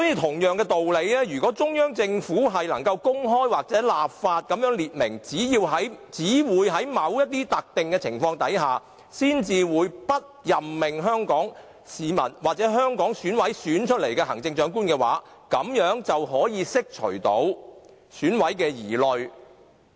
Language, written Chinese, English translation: Cantonese, 同樣道理，如果中央政府能夠公開或立法訂明只在某些特定情況下，才會不任命由香港市民或香港選委選出的行政長官，便可釋除選委的疑慮。, By the same token if the Central Government can openly declare enact legislation to stipulate the special circumstances under which it will refuse to appoint the Chief Executive elected by Hong Kong people or EC members the doubts and worries of EC members can be dispelled